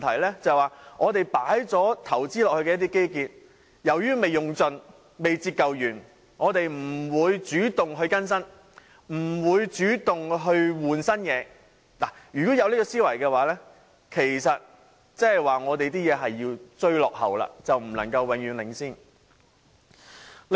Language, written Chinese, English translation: Cantonese, 即由於我們已經作出投資的基建尚未盡用、未完全折舊，因此我們便不會主動作出更新——如果有這種思維，其實即是說我們只是在追落後，永遠不能領先。, That is since the infrastructure on which we have made investments has not been fully utilized or depreciated completely we will not make upgrades actively―if there is such thinking that means actually we are always trying to catch up and can never take the lead